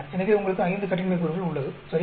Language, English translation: Tamil, So, you have 5 degrees of freedom, right